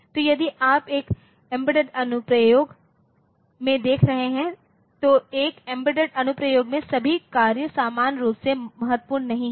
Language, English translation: Hindi, So, if you are looking into a into an embedded application then in a embed embedded application, so, all tasks are not equally critical